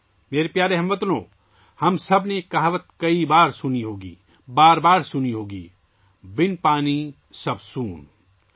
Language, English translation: Urdu, My dear countrymen, we all must have heard a saying many times, must have heard it over and over again without water everything is avoid